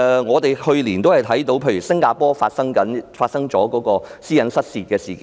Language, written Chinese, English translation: Cantonese, 我們去年看到新加坡公共醫療系統發生私隱失竊事件。, Last year we saw that there was an incident of personal data breach in the Singaporean public healthcare IT system